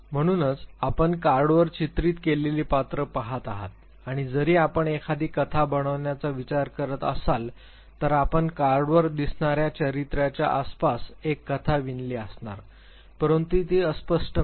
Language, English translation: Marathi, So, actually you are looking at the characters depicted on the card and although you tend to construct a story you weave a story in and around the character that you see on the card, but because it is ambiguous not